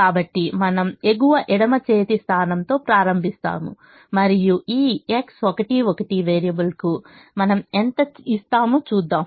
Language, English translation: Telugu, so we start with the top left hand position and see how much we give to this x one one variable